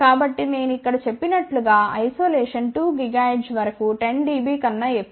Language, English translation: Telugu, So, as I have mentioned over here isolation is just greater than 10 dB up to about 2 gigahertz